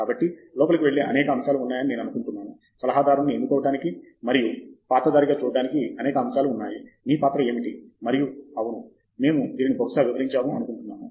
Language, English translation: Telugu, So, I think there are several factors that go in to choosing a advisor and there are several factors to watch out for as a role as what your role is and yes, I think we probably outline this